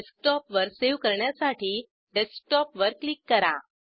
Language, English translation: Marathi, Select Desktop to save the file on Desktop